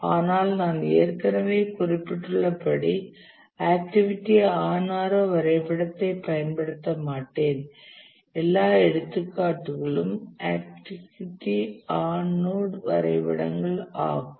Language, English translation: Tamil, But as I already mentioned that we will not really use activity on RO diagram, all our examples will restrict activity on node diagrams